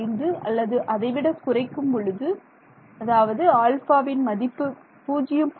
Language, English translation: Tamil, 75, then as you begin to reduce alpha even more then you will get say alpha is equal to 0